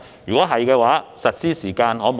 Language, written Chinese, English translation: Cantonese, 若然，能否加快實施的時間？, If so can the implementation schedule be expedited?